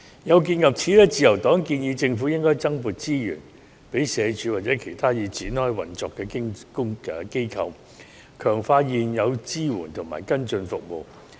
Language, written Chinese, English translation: Cantonese, 有見及此，自由黨建議政府應該增撥資源予社署或其他已展開運作的機構，強化現有支援及跟進服務。, In view of that the Liberal Party recommends that the Government should allocate additional resources to SWD or other institutions which have already been providing services in this regard so that they can strengthen their support and follow - up services